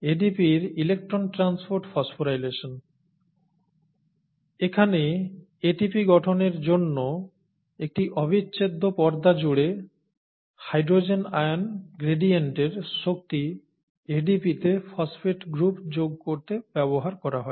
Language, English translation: Bengali, The electron transport phosphorylation of ADP, right, the energy of the hydrogen ion gradient across an integral membrane is used to add phosphate to the phosphate group to ADP to form ATP